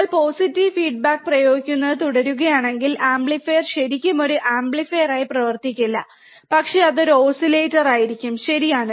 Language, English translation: Malayalam, If you keep on applying positive feedback, the amplifier will not really work as an amplifier, but it will be an oscillator, right